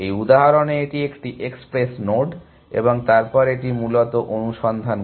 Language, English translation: Bengali, So, in this example, this is an express node and then it does the search essentially